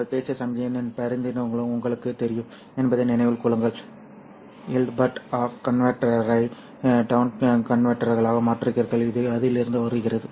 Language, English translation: Tamil, Remember that analytical, you know, representation of the signal that we talked about, S plus of T, the Hilbert transform, the up converter, down converter, this is exactly coming from that